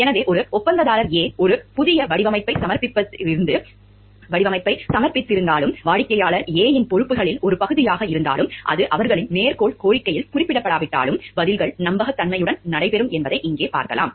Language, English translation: Tamil, So, here we can see like the, though a contractor A has submitted a new design and it is a part of responsibilities of the client A, even if, though it is not mentioned in their quotation request, the replies will be held in confidence